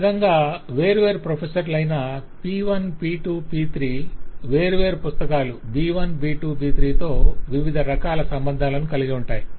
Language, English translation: Telugu, so in this way the different professor p1, p2, p3, different books b1, b2, b3 will have different kinds of actual relationships